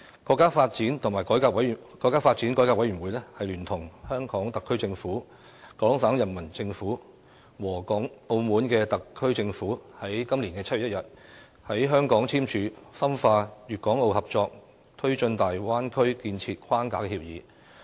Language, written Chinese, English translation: Cantonese, 今年7月1日，國家發展和改革委員會聯同香港特區政府、廣東省人民政府和澳門特區政府在香港簽署《深化粵港澳合作推進大灣區建設框架協議》。, On 1 July this year the Framework Agreement on Deepening Guangdong - Hong Kong - Macao Cooperation in the Development of the Bay Area was signed in Hong Kong between the National Development and Reform Commission the Hong Kong SAR Government the Peoples Government of Guangdong Province and the Macao SAR Government